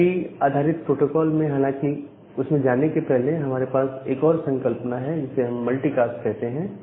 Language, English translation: Hindi, But, even before going to that, in IP based protocol, we have a concept of multicast